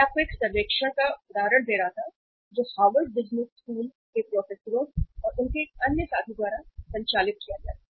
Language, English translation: Hindi, I was referring you to a to a survey which was conducted by the Harvard Business School professors, 2 Harvard Business School professors and one of their another fellow